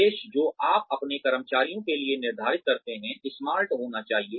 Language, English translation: Hindi, The objectives, that you set for your employees, should be